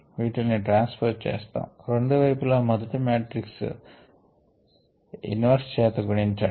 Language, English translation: Telugu, we transpose these and pre multiplied both side by the inverse of the first matrix